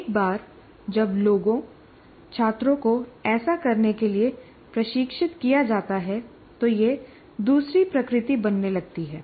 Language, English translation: Hindi, So once people are trained, students are trained in doing this a few times, then it starts becoming second nature to the students